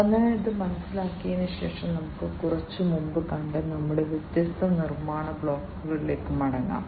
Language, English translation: Malayalam, So, having understood this let us now go back to our different building blocks that we have seen in the little while back